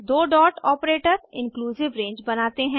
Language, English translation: Hindi, (..) two dot operator creates inclusive range